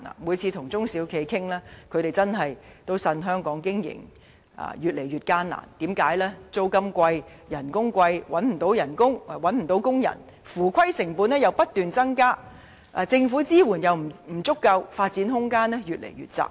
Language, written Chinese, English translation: Cantonese, 每次與中小企經營者見面時，他們也向我反映在香港經營越益艱難，因為租金貴、工資貴，又難以聘請員工，且合規成本又不斷增加，再加上政府支援不足，令發展空間越見狹窄。, Each time when I meet proprietors of SMEs they relay to me the worsening business environment in Hong Kong . High rents and wage level manpower shortage increasing compliance cost and insufficient government support have all constrained their room for development